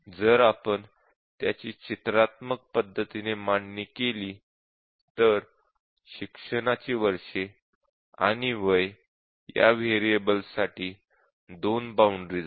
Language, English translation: Marathi, And if we represent it pictorially, so there are 2 boundaries for this variable; years of education and for age there are 2 boundaries